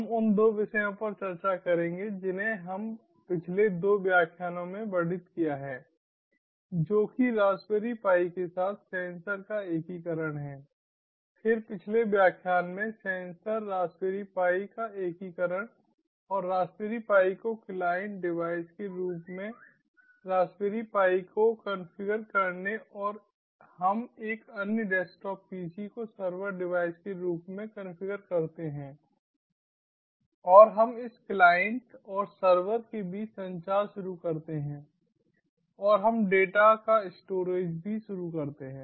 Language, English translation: Hindi, then, in the previous lecture that was integration of sensor, the raspberry pi and making the raspberry pi ah, configuring the raspberry pi as a client device and we configure another desktop pc as a server device and we initiate communication between this client and server and we also initiate storage of data when the data is being uploaded on to the server